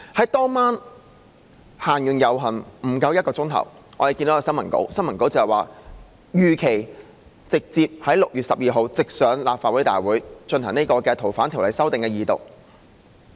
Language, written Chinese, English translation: Cantonese, 在當天晚上遊行完結後不足1小時，我們看到新聞稿，說如期在6月12日直接提交立法會大會，恢復《條例草案》的二讀。, In less than an hour after the end of the procession that night we learnt from the press release that the Bill would be submitted to the meeting of the Legislative Council direct as scheduled on 12 June for resumption of its Second Reading